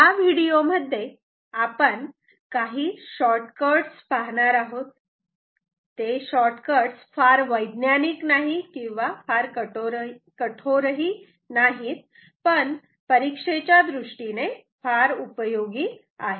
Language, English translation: Marathi, So, in this video we are going to give some shortcuts, not very scientific not, very rigorous; but useful for exam purpose, ok